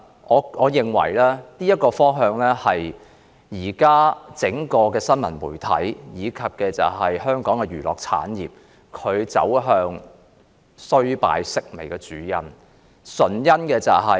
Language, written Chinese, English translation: Cantonese, 我認為這是現時整個新聞媒體，以至香港娛樂產業走向衰敗、式微的主因。, In my opinion this is the main reason why the entire news media and the entertainment industry in Hong Kong fail and decline